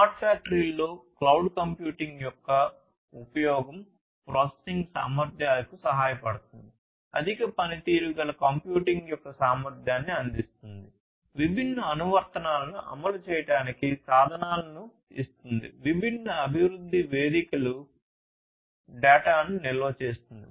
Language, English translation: Telugu, So, use of cloud computing in smart factory helps in the processing capabilities, providing the capability of high performance computing, giving tools for running different applications, giving tools for different development platforms, giving tools for storing the data easily